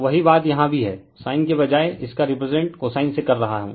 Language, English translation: Hindi, So, same thing is here also instead of sin, we are represent it by cosine, meaning is same right